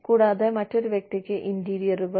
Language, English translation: Malayalam, And, the interiors to another person